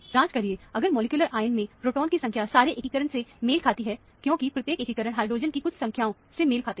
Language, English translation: Hindi, Check, if the number of protons in the molecular formula matches with the total integration, because, each integration would correspond to a certain number of hydrogen